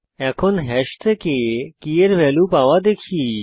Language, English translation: Bengali, Let us see how to get the value of a key from hash